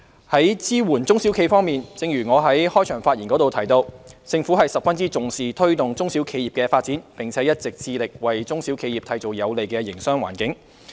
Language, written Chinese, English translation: Cantonese, 在支援中小型企業方面，正如我在開場發言提到，政府十分重視推動中小企發展，並一直致力為中小企締造有利營商的環境。, In respect of supporting small and medium enterprises SMEs as I mentioned in my opening speech the Government attaches great importance to promoting the development of SMEs and has been striving to create a business - friendly environment for SMEs